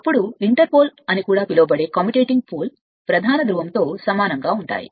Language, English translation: Telugu, Then commutative poles commutating poles also called inter pole is similar to a main pole